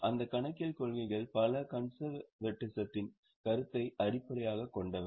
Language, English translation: Tamil, Several of those accounting policies are based on the concept of conservatism